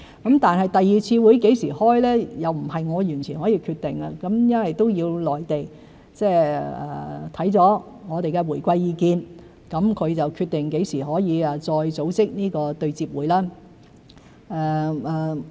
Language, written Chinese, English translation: Cantonese, 至於第二次會議何時舉行，不是我完全可以決定的，要由內地考慮我們的回饋意見後決定何時可以再組織對接會議。, As for when the second meeting will be held it is not entirely up to me . The Mainland will after considering our feedback decide on when another meeting can be arranged